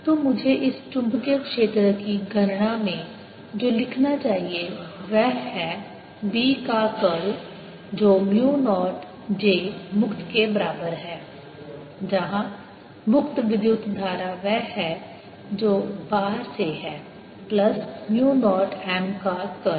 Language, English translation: Hindi, so what i should be writing in calculating this magnetic field is: curl of b is equal to mu naught j, free, where free is the current which is done from outside, plus mu naught curl of m